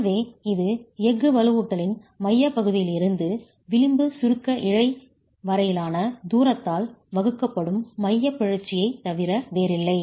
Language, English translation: Tamil, It's nothing but the eccentricity divided by the distance from the centroid of the steel reinforcement to the edge compression fiber